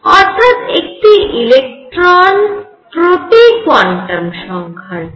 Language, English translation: Bengali, So, one for each quantum number